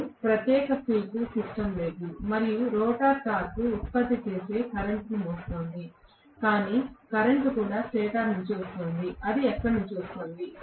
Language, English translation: Telugu, I am not having a separate field system and the rotor is carrying a current which is producing the torque, but the current is also coming from the stator, where is it coming from